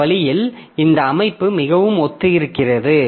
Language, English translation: Tamil, So, that way this structure of all these are quite similar